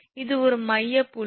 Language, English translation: Tamil, So, it is a midpoint